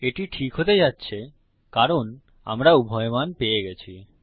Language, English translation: Bengali, This is going to be okay because we have got both values